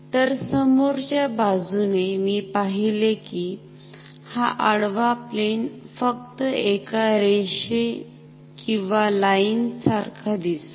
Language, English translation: Marathi, So, the front view, so in the front view I will see this horizontal plane just like a line ok